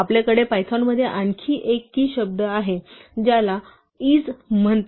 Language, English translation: Marathi, We have another key word in python called 'is'